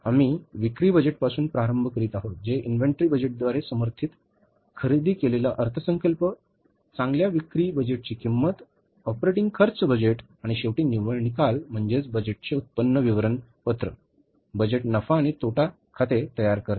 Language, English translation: Marathi, We are starting with the sales budget which is supported by the inventory budget, supported by the purchase budget, cost of goods sold budget, operating expenses budget and finally the net result is preparing the budgeted income statement, budgeted profit and loss account